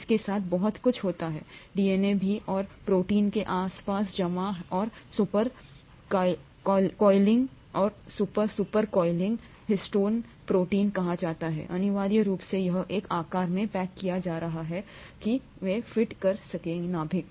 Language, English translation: Hindi, That’s pretty much what happens with DNA too and the coiling and super coiling and super super super coiling around proteins which are called histone proteins, essentially results in it being packaged into a size that can fit into the nucleus